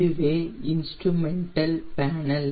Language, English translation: Tamil, this is the instrument panel